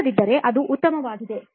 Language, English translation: Kannada, Otherwise, it is fine